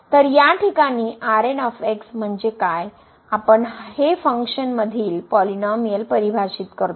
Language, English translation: Marathi, So, in this case what we mean this the we define this difference of the function and the polynomial